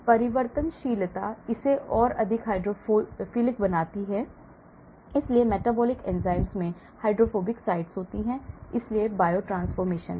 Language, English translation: Hindi, change chirality, make it more hydrophilic , so the metabolic enzymes have hydrophobic sites, so biotransformation